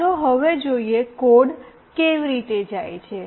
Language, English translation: Gujarati, Let us now see, how the code goes